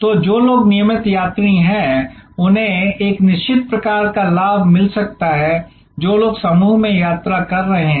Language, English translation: Hindi, So, people who are regular travelers they may get a certain kind of rate advantage, people who are travelling in a group